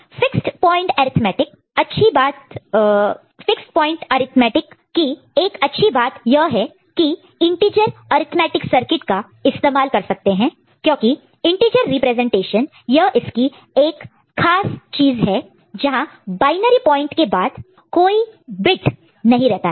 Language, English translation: Hindi, And one good thing about this fixed point arithmetic is that integer arithmetic circuit can be used because integer representation is just a special case of this where there is no bit after the binary point ok